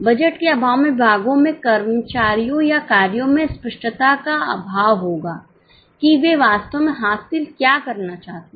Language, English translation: Hindi, In absence of budget, there will be lack of clarity amongst the departments, employees or functions as to what exactly they are supposed to achieve